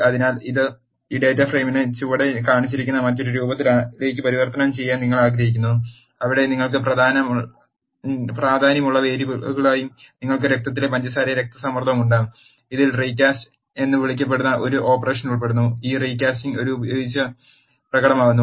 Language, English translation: Malayalam, So now, you want to convert this data frame into the other form which is shown below, where you have blood sugar and blood pressure as the variables of importance to you and this involves an operation which is called recasting, this recasting is demonstrated using an example here